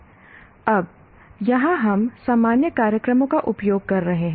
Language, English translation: Hindi, Now here we are using the word general programs